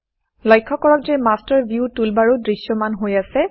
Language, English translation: Assamese, Notice, that the Master View toolbar is also visible